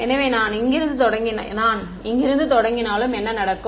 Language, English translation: Tamil, So, even if I started from here, what will happen